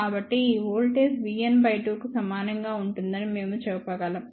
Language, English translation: Telugu, So, we can say that this voltage will be equal to v n by 2